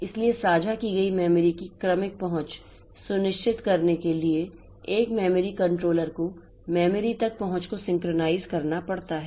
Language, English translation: Hindi, So, to ensure orderly access of the shared memory, a memory controller has to synchronize the access to the memory